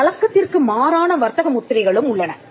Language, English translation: Tamil, There are also some unconventional trademarks